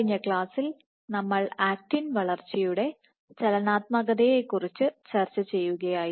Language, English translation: Malayalam, So, in the last class we were discussing about dynamics of actin growth right